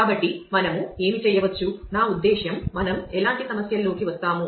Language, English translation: Telugu, So, what can us; I mean what kind of issues we will get into